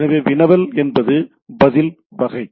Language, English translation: Tamil, So, query response type of thing